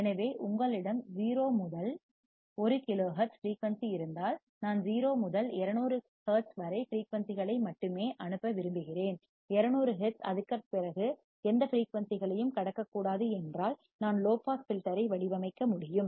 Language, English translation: Tamil, So, if you have 0 to 1 kilohertz as frequency, and I want to pass only frequency from 0 to 200 hertz and any frequency about 200 hertz should not be passed, then I can design a low pass filter